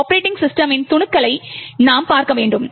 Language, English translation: Tamil, we have to look at snippets of the operating system